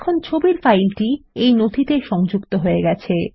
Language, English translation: Bengali, The image file is now linked to the document